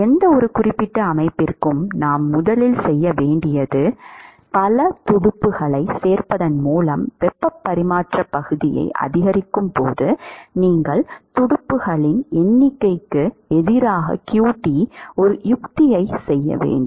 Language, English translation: Tamil, It is not very obvious to see from this expression, for any specific system the first thing we should do is as you increase the heat transfer area by including multiple fins you will have to make a plot of qt versus the number of fins